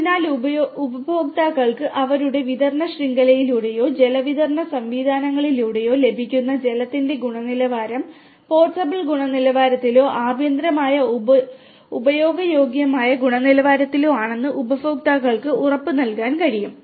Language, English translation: Malayalam, So, we can basically make the consumers assure that the water quality they are getting through their distribution network or through their water supply systems are of the portable quality or domestically usable quality